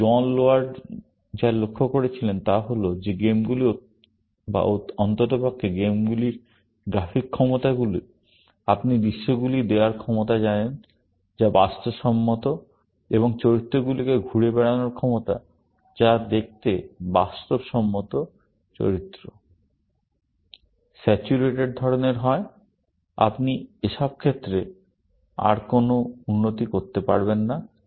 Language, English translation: Bengali, But what John Laird observed was that games, or at least, the graphic capabilities of games, you know the ability to render scenes, which are realistic, and ability to have characters moving around, which look like